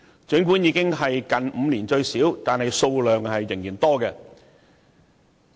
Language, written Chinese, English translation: Cantonese, 儘管修正案已是近5年最少，但數量仍然很多。, Though the number of amendments is the smallest in the last five years the amount is still great